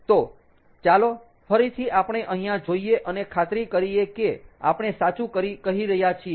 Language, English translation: Gujarati, so lets look over here again and make sure that we are doing it correctly